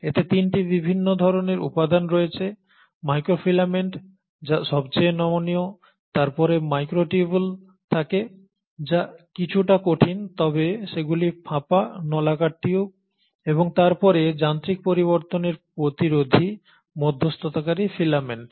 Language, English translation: Bengali, It has 3 different kinds of components; the microfilaments which are the most flexible ones, followed by the microtubules which are slightly more rigid but they are hollow tubes, hollow cylindrical tubes, and then the most resistant to mechanical changes are the intermediary filaments